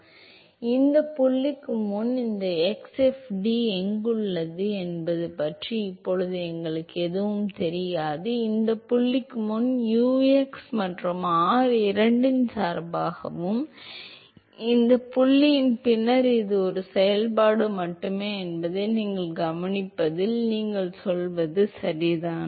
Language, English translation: Tamil, So, right now we do not know anything about where this x fd is there before this point you are correct in the observing that before this point u is a function of both x and r and after this point it is only a function of the radial position you will see that in short while